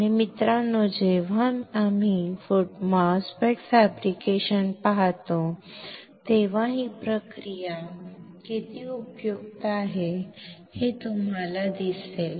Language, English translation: Marathi, And you will see how useful this process is when we look at the MOSFET fabrication, guys